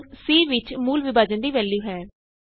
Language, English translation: Punjabi, c now holds the value of real division